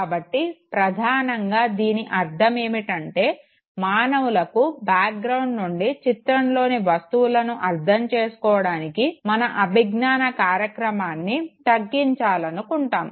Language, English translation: Telugu, So, that basically means that as human beings we would always like to minimize our cognitive engagement in terms of deciphering the image from the background